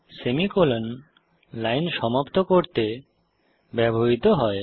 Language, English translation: Bengali, semi colon is used to terminate a line